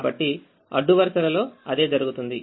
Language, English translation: Telugu, so that is what happens in the rows